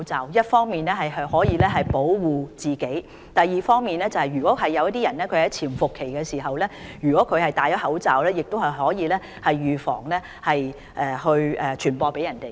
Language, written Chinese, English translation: Cantonese, 這樣既可以保護自己，而另一方面如患者在潛伏期內戴上口罩，亦可以預防傳染他人。, This will not only protect them but also prevent the disease from transmitting to others during the incubation period if they are infected